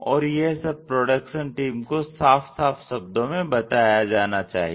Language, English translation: Hindi, And it has to be conveyed in a clear way to this production team